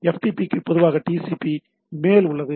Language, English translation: Tamil, So, a FTP uses TCP at the transport layer